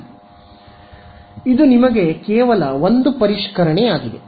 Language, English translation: Kannada, So, this hopefully it is just a revision for you